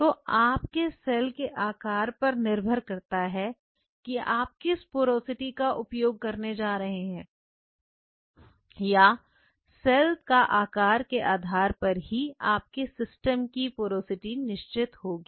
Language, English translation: Hindi, So, depending on the size of the cell what porosity you are going to use will be porosity will be, will be a function of cell size ok